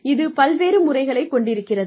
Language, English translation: Tamil, Is through various methods